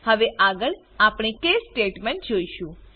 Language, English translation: Gujarati, Let us look at the case statement next